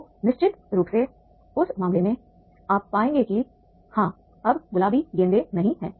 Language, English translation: Hindi, Then definitely in that case you will find that is the yes because now there are no pink balls